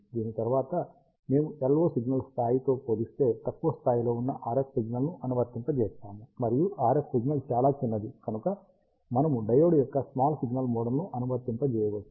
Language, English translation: Telugu, After this, we apply the RF signal which is of low level compared to the level of the LO signal, and because the RF signal is very small, we can apply the small signal model of the diode